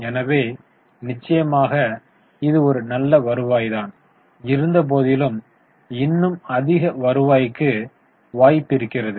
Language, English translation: Tamil, So, definitely it's a good return but there can be scope for even higher return